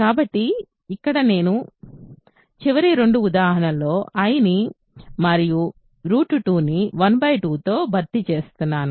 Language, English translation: Telugu, So, here I will replace i and root 2 of the last two examples by 1 by 2